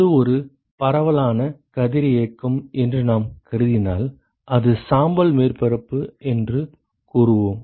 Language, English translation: Tamil, And if we assume that it is a, a diffuse radiosity and we said it is gray surface